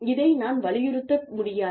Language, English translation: Tamil, I cannot stress on this, enough